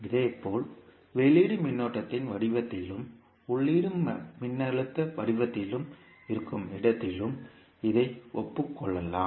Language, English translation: Tamil, Similarly, it can be admitted also where output is in the form of current and input is in the form of voltage